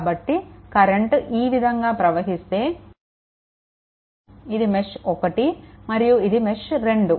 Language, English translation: Telugu, So, basically if you move like this, for this is mesh 1 and this is mesh 2